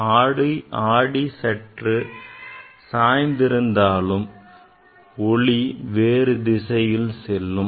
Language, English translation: Tamil, If mirror is slightly tilted or light will go in different directions